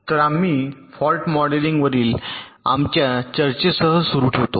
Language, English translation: Marathi, so we continue with our discussion on fault modeling